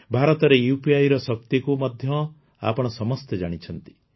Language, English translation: Odia, You also know the power of India's UPI